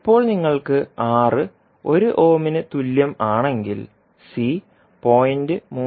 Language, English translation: Malayalam, Now when you have R is equal to 1 ohm then C will be 0